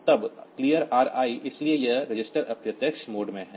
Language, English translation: Hindi, Then clear Ri, so this is in the registered indirect mode